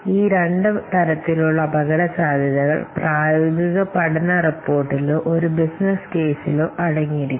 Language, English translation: Malayalam, So, these two types of risks must what contain, these two types of risks must be contained in this feasible study report or business case